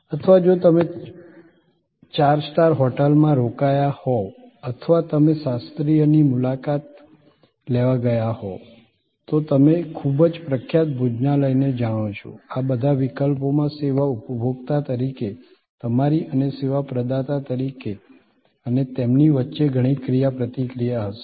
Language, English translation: Gujarati, Or if you are staying at a four star hotel or you have gone to visit a classical, you know very famous restaurant, in all these cases there will be lot of interaction between you as the service consumer and them as a service provider and together of course, you will create different kinds of streams of values